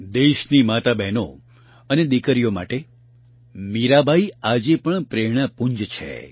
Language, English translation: Gujarati, Mirabai is still a source of inspiration for the mothers, sisters and daughters of the country